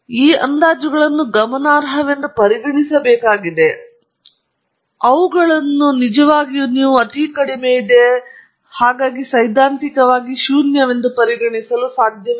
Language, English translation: Kannada, Conveying the fact that these estimates are to be treated as significant, which means you cannot really treat them to be negligible or theoretically zero